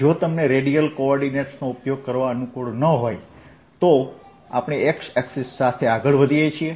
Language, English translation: Gujarati, if you are not comfortable with radial coordinates, let us say i move along the x axis